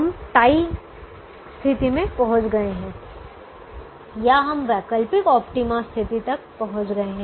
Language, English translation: Hindi, we reach the tie situation or we reach the alternate optima situation